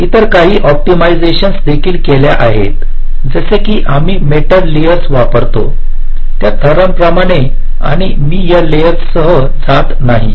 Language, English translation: Marathi, so there is some other optimizations which are also carried out, like ah, like the layers, we use the metal layers and i am not going with detail of these